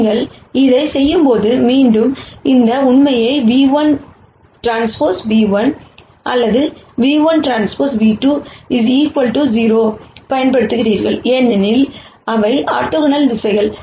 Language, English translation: Tamil, And when you do this, again you use this fact that nu 2 transpose nu 1 or nu 1 transpose nu 2 equal to 0 because these are orthogonal directions